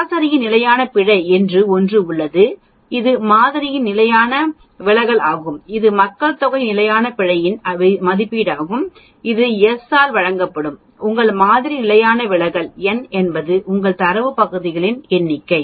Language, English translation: Tamil, There is something called standard error of the mean that is the standard deviation of the sample means which is an estimate of population standard error of all these means that is given by s divided by square root of n, s is your sample standard deviation, n is your number of data points